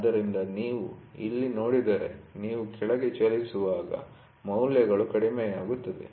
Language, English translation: Kannada, So, if you see here the values are decreasing when you move down